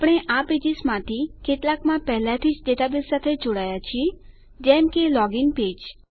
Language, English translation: Gujarati, We have already connected to the database in several of these pages like the Login page